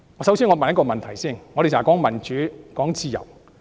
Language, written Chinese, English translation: Cantonese, 首先讓我問一個問題，我們經常說民主、自由。, First of all let me ask a question . We always talk about democracy and freedom